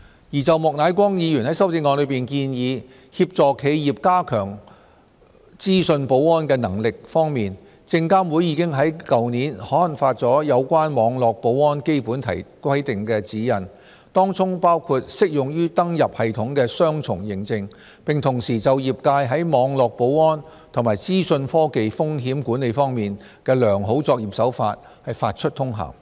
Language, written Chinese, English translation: Cantonese, 關於莫乃光議員在修正案中建議協助企業加強資訊保安的能力，證監會已於去年刊發有關網絡保安基本規定的指引，當中包括適用於登入系統的雙重認證，並同時就業界在網絡保安及資訊科技風險管理方面的良好作業手法發出通函。, As regards the proposal in the amendment of Mr Charles Peter MOK of assisting enterprises in enhancing their capabilities in information security SFC published guidelines on basic requirements for cyber security last year including two - factor authentication for system login and issued circulars on good industry practices for cyber security and information technology risk management